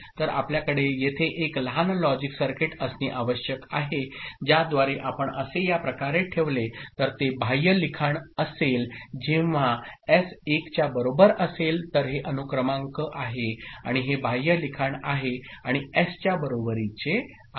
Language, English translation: Marathi, So, you just need to have a small circuit logic circuit over here by which if you put it in this manner then it will be external writing when S is equal to 1, so this is serial in and this is external writing and S is equal to 0 internal writing which is nothing but non destructive reading is it ok